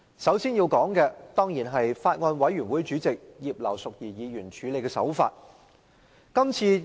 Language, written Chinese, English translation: Cantonese, 首先要說的，是法案委員會主席葉劉淑儀議員處理《條例草案》的手法。, First I have to talk about the way Mrs Regina IP Chairman of the Bills Committee dealt with the Bill